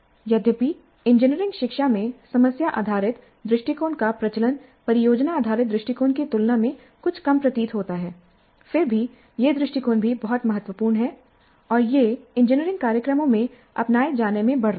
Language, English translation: Hindi, Though the prevalence of problem based approach in engineering education seems to be somewhat less compared to product based approach, still that approach is also very important and it is gaining in its adoption in engineering programs